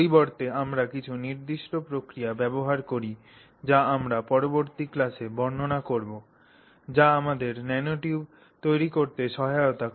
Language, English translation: Bengali, Instead we use certain processes that we will describe in a later class which helps us create the nanotube or synthesize the nanotube as is